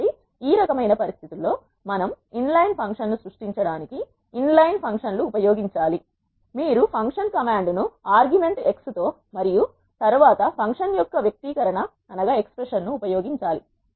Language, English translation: Telugu, So, what we can use in this kind of situations is an inline functions to create an inline function you have to use the function command with the argument x and then the expression of the function